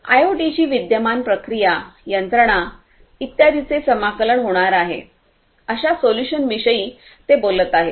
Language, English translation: Marathi, They are talking about having solutions where integration of IoT with their existing processes, machinery etc